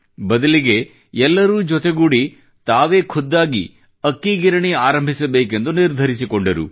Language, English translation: Kannada, They decided that collectively they would start their own rice mill